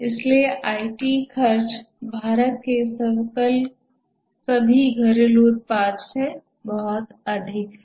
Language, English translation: Hindi, So, the IT spending is even much more than all the domestic production of India is a huge